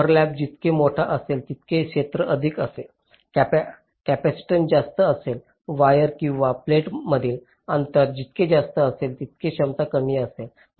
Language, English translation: Marathi, so greater the overlap, greater is the area, higher will be the capacitance, greater the distance between the wires or the plates, lower will be the capacities